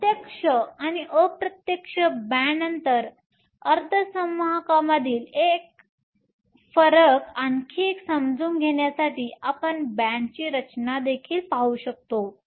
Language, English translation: Marathi, To understand the difference between direct and indirect band gap semiconductor some more, we can also look at the band structure